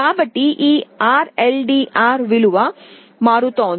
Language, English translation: Telugu, So, this RLDR value is changing